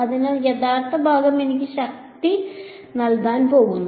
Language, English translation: Malayalam, So, the real part is going to give me the power